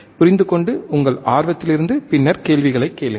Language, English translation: Tamil, Understand and then out of your curiosity ask questions